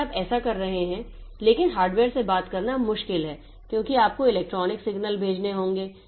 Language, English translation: Hindi, If you are, so, but talking to the hardware is difficult because you have to send electrical signals